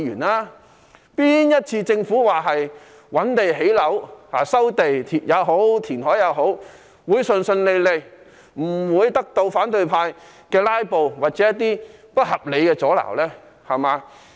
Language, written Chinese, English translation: Cantonese, 哪一次政府說要覓地建屋，不管是收地或填海，是可以順順利利進行，不被反對派"拉布"或不合理的阻撓呢？, In identifying sites for housing developments be it through land resumption or reclamation can the Governments proposal be implemented smoothly without the filibuster or unreasonable obstruction by the opposition camp for once?